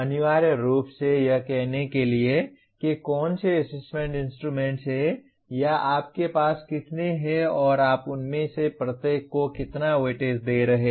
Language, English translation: Hindi, Essentially to say which are the assessment instruments or how many you have and how much weightage you are giving it to each one of them